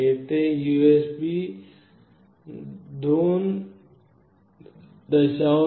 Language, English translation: Marathi, Here a USB 2